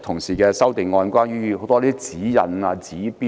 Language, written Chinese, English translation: Cantonese, 社會實在存有過多指引及指標。, There are indeed too many guidelines and indicators in society